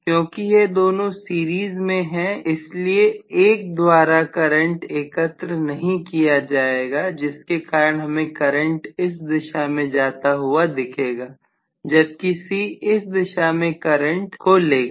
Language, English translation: Hindi, Because these two are in series there is no collection of current from 1 because of which I am going to have essentially the current carried in this direction itself whereas C would carry still the current in this direction